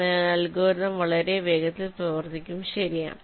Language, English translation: Malayalam, so the algorithm will be running much faster